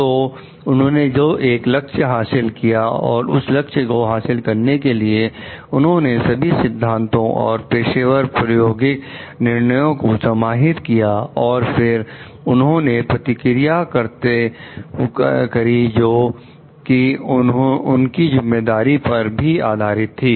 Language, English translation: Hindi, A goal that he achieved, and to achieve that goal he brought all his theoretical and professional practical judgments into consideration and then, he took an action based on that he owned a responsibility for his actions too